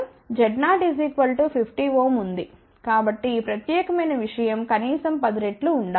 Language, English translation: Telugu, So, this particular thing should be at least 10 times of that